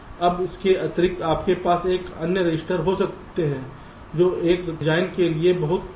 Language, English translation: Hindi, now, in addition, you can have some other registers which i have very special to ah design